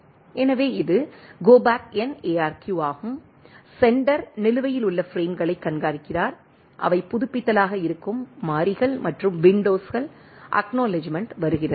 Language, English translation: Tamil, So, this is the Go Back N ARQ, sender keeps track of the outstanding frames that are an updates the variables and windows at the acknowledge arrives right